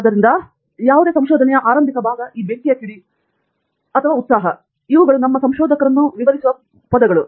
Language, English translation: Kannada, So, the initial part of things is this spark and excitement, and these are the words which actually describe our spirits initially